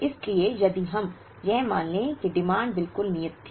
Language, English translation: Hindi, So, if we assume that the demand was exactly deterministic